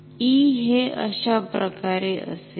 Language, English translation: Marathi, So, E will be like this